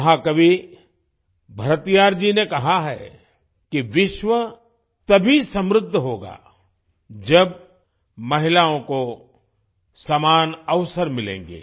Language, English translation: Hindi, Mahakavi Bharatiyar ji has said that the world will prosper only when women get equal opportunities